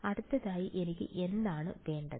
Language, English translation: Malayalam, Next what do I need